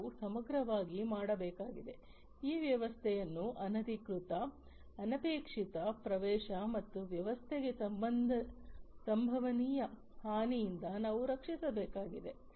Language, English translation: Kannada, We have to holistically, we need to protect we need to protect this system from unauthorized, unintended access and potential harm to the system